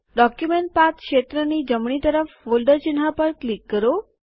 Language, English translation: Gujarati, Click on the folder icon to the right of the Document Path field